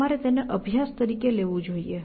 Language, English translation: Gujarati, You should try it as an exercise